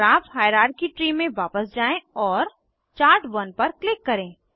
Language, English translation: Hindi, In the Graph hierarchy tree, you can see Graph and Chart1